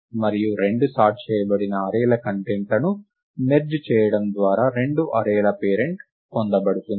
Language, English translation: Telugu, And the parent of two arrays is obtained by merging the contents of the two sorted arrays